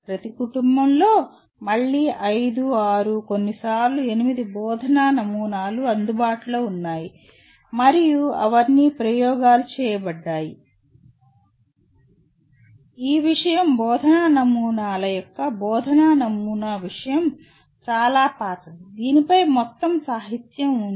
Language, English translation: Telugu, Under each family again there are maybe 5, 6 sometimes 8 teaching models available and all of them have been experimented, this subject being fairly teaching model subject of teaching models is fairly old, there is a whole lot of literature on this